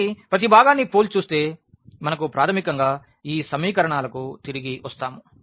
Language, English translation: Telugu, So, comparing the each component we will get basically we will get back to these equations